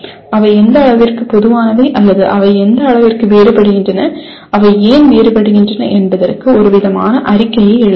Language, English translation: Tamil, Write some kind of a statement to what extent they are common or to what extent they differ and why do they differ